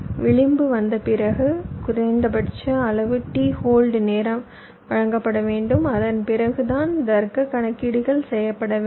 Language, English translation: Tamil, so after the edge comes, a minimum amount of t hold time must be provided and only after that the logic calculations